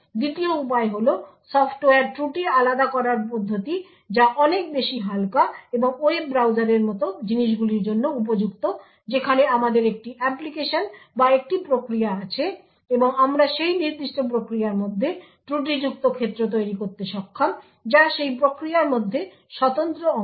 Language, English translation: Bengali, The second way is the Software Fault Isolation mechanism which is far more lightweight and suitable for things like the web browser where we have one application or one process and we are able to create fault domains within that particular process which are secluded compartments within that process